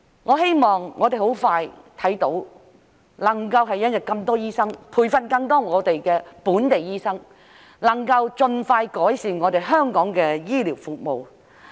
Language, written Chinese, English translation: Cantonese, 我希望我們很快便能看到有很多醫生的一天，培訓更多本地醫生，盡快改善香港的醫療服務。, I hope that we will soon see the day when there will be many doctors and more local doctors will be trained so that the healthcare services in Hong Kong can be improved as soon as possible